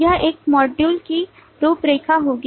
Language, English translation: Hindi, This will be the outline for this module